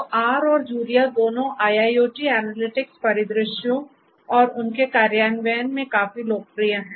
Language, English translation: Hindi, So, both R and Julia are quite popular in the IIoT analytics scenarios and their implementation